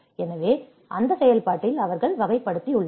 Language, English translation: Tamil, So, in that process they have classified